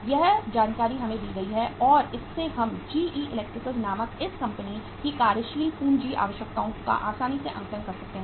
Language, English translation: Hindi, Every information is given to us and from this we can easily assess the working capital requirements of this company called as GE Electricals